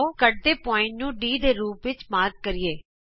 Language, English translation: Punjabi, Lets mark the point of intersection as D